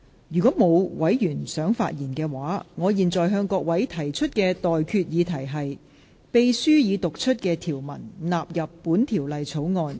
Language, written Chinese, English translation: Cantonese, 如果沒有，我現在向各位提出的待決議題是：秘書已讀出的條文納入本條例草案。, If no I now put the question to you and that is That the clauses read out by the Clerk stand part of the Bill